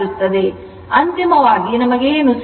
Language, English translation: Kannada, So, ultimately, what we got